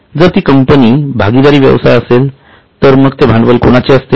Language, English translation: Marathi, If it is a partnership firm, whose capital it will be